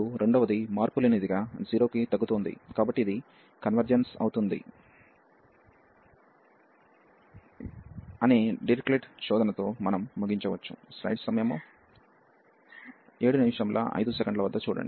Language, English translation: Telugu, And the second one was monotonically decreasing to 0, therefore we could conclude with the Dirichlet test that this converges